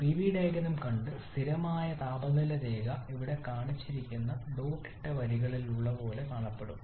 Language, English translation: Malayalam, So we have seen the Pv diagram and constant temperature line will look like the couple of dotted line shown here